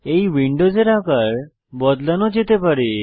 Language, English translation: Bengali, These windows can be re sized